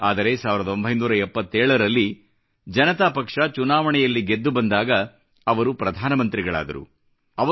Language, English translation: Kannada, But when the Janata Party won the general elections in 1977, he became the Prime Minister of the country